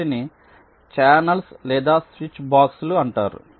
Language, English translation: Telugu, they are called channels or switch boxes